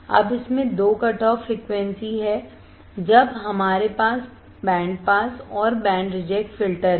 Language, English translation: Hindi, Now it has two cutoff frequency, when we have band pass and band reject filter